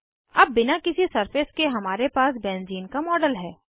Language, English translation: Hindi, Now, we have a model of benzene without any surfaces